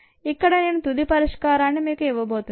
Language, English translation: Telugu, ok, here i am just going to present the final solution